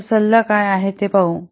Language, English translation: Marathi, What will be the advice